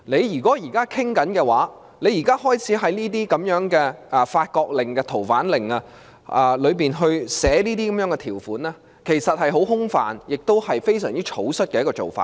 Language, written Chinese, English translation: Cantonese, 如果當局現時已開始討論，並在《逃犯令》中寫下如此這般的條款，其內容其實是很空泛的，亦是非常草率的做法。, If the Administration has started the discussion and therefore it has to write down such provisions in the Fugitive Offenders France Order I shall say the content is actually rather vague and it is a rather hasty approach